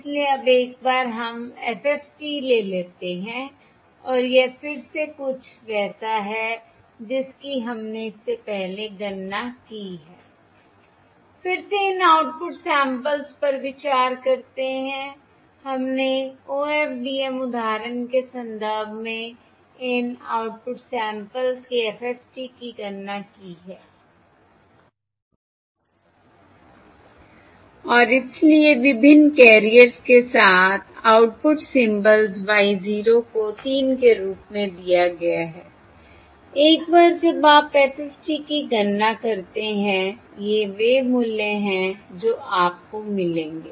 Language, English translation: Hindi, So now, once we take the FFT and this is again something that we have calculated before, that is, this is again considering these output samples we have calculated the FFT of these output samples in the context of the OFDM, OFDM example, and therefore these, the output symbols across the various carriers: capital Y 0 are given as 3